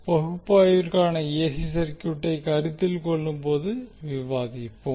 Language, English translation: Tamil, We will discuss when we consider the AC circuit for the analysis